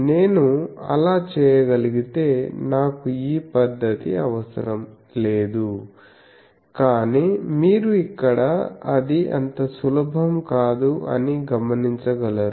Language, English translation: Telugu, If I could do that then I need not have this method, but that is not so easy because you see here